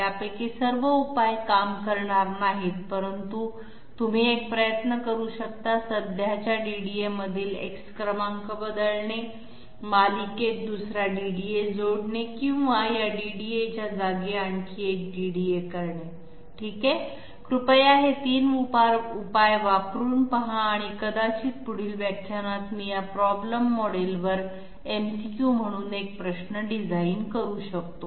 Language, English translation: Marathi, Not all of them will work, but you can try one changing the number X in the present DDA, adding second DDA in series or replacing this DDA by yet another one, yet another DDA okay, please try out these 3 solutions and maybe in the next lecture I can I can design one question as an MCQ on this problem model